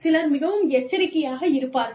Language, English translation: Tamil, Some people are very cautious